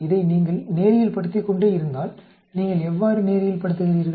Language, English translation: Tamil, If you keep linearizing this, how do you linearize